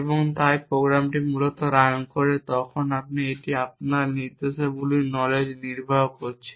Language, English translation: Bengali, And hence for when the program runs basically it is executing your instructions knowledge is not explicit essentially